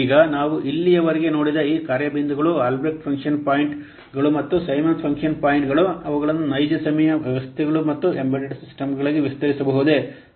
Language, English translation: Kannada, Now let's see about the whether these function points so far we have seen the Albreast function points and the Simmons function points can they be extended to real time systems and embedded systems